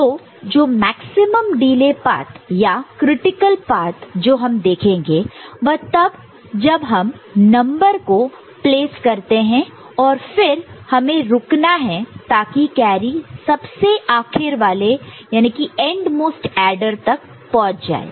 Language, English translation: Hindi, So, the maximum delay path the critical path that we shall see so, that is when the number is placed and you have to wait for the carry to arrive at the endmost adder